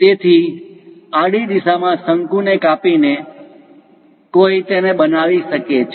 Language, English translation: Gujarati, So, slicing the cone in the horizontal direction, one can make it